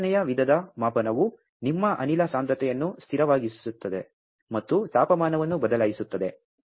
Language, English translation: Kannada, The second type of measurement is that you keep your gas concentration constant and vary the temperature